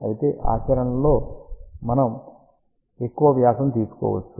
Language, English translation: Telugu, However, in practice we may take a larger diameter